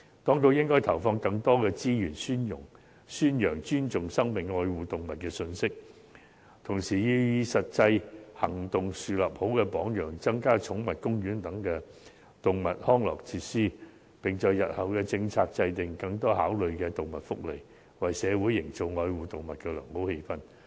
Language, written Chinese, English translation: Cantonese, 當局應投放更多資源宣揚"尊重生命、愛護動物"的信息，同時要以實際行動樹立良好榜樣，增加寵物公園等動物康樂設施，並在日後制訂政策時多考慮動物福利，為社會營造愛護動物的良好氣氛。, While more resources should be devoted to promoting the idea of Respect Life Love Animal concrete actions must be taken to set a good example such as increasing animal welfare facilities like pet gardens . Also more consideration should be given to animal welfare when formulating policies in the future with a view to cultivating a good atmosphere of loving animals in the community